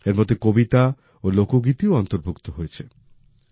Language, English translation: Bengali, These also include poems and folk songs